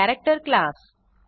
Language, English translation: Marathi, The character class